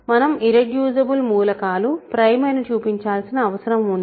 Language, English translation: Telugu, So, all we need to show is that irreducible elements are prime